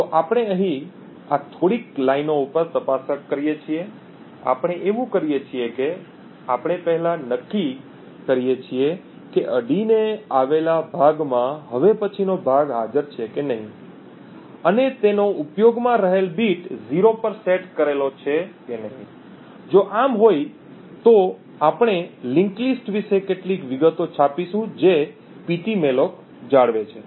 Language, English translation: Gujarati, So we do this check over here in these few lines, what we do is that we first determine if the next chunk that is present in the adjacent chunk that is present has its in use bit set to 0, if so then we print some details about the link list that ptmalloc maintains